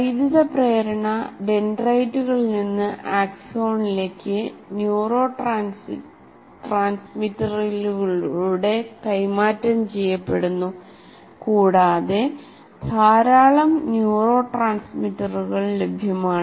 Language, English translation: Malayalam, And when the electrical impulse is transferred from dendrites to axon through not directly, but through neurotransmitters and there are a large number of neurotransmitters available